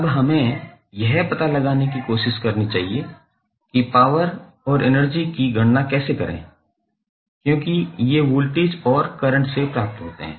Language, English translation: Hindi, Now, let us try to find out how to calculate the power and energy because these are derived from voltage and current